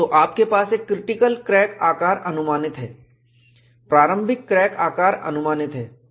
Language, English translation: Hindi, So, you have a critical crack size estimated; initial crack size estimated